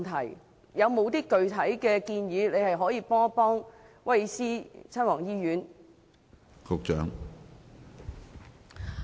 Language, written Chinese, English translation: Cantonese, 政府有何具體建議協助威爾斯親王醫院呢？, Does the Government have any specific plans to assist Prince of Wales Hospital?